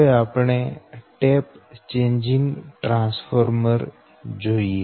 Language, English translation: Gujarati, right, that is for the tap changing transformer